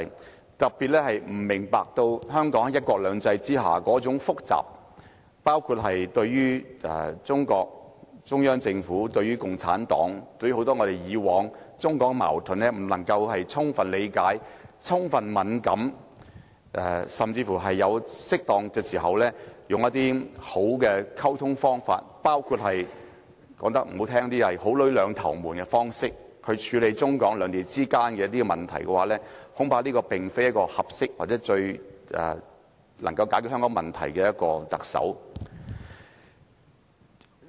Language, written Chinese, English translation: Cantonese, 特別是，如果這個特首不明白香港在"一國兩制"下那種複雜情況，包括對於中國、中央政府的複雜情況；如果他不能夠充分理解共產黨及很多中港矛盾，對此敏感度不足，甚至不能在適當時候，用一些良好的溝通方法去處理中港兩地之間的一些問題——說難聽點，這包括"好女兩頭瞞"的方式——恐怕這個特首並非一位合適或最能夠為香港解決問題的人選。, In particular if this person does not understand the complexity in Hong Kong under one country two systems including the complexity related to China and the Central Government; if this person cannot comprehend the Communist Party of China and many contradictions between the Mainland and Hong Kong or is not sensible enough in this regard and is even unable to timely handle certain issues between the Mainland and Hong Kong via some appropriate means of communication―to put it coarsely this includes means of white lies―then I am afraid such a person may not be the right person or the best person to resolve problems for Hong Kong as the Chief Executive . I hope such a Chief Executive will have both the mind and the tongue in this respect